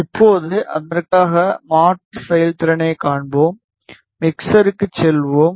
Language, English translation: Tamil, Now, we will see the conversion performance for that let us go to the mixer